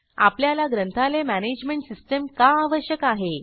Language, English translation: Marathi, Now, Why do we need a Library Management System